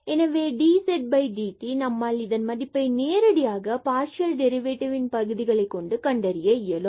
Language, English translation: Tamil, So, dz over dt we can find out directly in terms of the partial derivatives of z and the ordinary derivatives of x and y